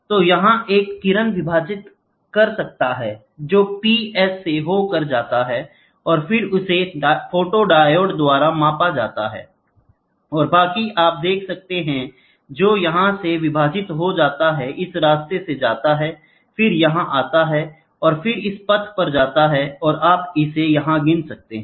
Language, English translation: Hindi, So, here is a beam splitting so, P S it goes and then it gets photodiode can be measured, and the rest you can see which get split from here goes through this path, then comes here, and then goes to this path and this you can get it counted here